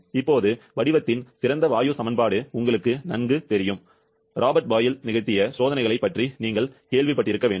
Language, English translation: Tamil, Now, ideal gaseous equation of state is very well known to you, you must have heard about the experiments performed by Robert Boyle